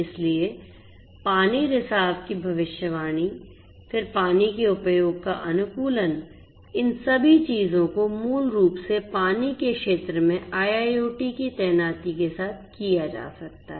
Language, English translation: Hindi, So, basically you know different different features such as prediction of water leakage, then optimization of water usage, all of these things could be done with the deployment of IIoT in the water sector as well